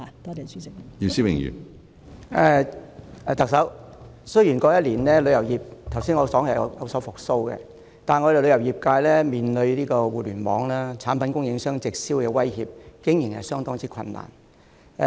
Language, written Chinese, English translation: Cantonese, 特首，雖然我剛才提到旅遊業在過去1年已見復蘇，但我們旅遊業界面對互聯網產品供應商直銷的威脅，經營相當困難。, Chief Executive although I said just now that the tourism industry had begun to recover last year it is still in considerable difficulties in the face of the threat from direct online marketing by product suppliers